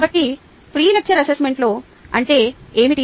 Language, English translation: Telugu, so what was the pre lecture assessment